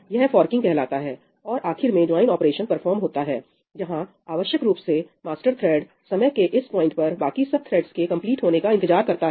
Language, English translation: Hindi, this is called forking, right, and at the end a join operation is performed, where essentially the master thread so, this was the master thread, remember it will, at this point of time, wait for all the other threads to complete